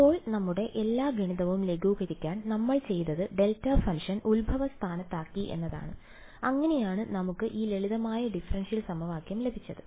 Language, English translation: Malayalam, Now, what we had done to simplify all our math was that we put the delta function at the origin right; and that is how we got this simple looking differential equation